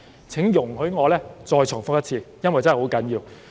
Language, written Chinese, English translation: Cantonese, 請容許我再重複一次，因為真的十分重要。, Please allow me to repeat them once again because they are very important